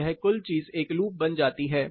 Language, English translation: Hindi, So, this total thing becomes a loop